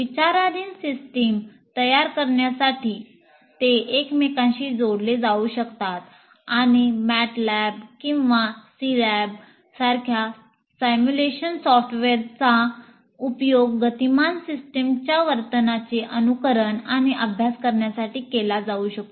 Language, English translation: Marathi, And they can be interconnected to create the system under consideration and simulation software like MAT Lab or SI lab can be used to simulate and study the behavior of a dynamic system